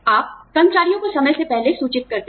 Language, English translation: Hindi, You notify employees, ahead of time